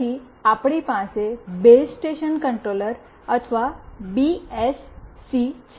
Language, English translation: Gujarati, Then we have Base Station Controller or BSC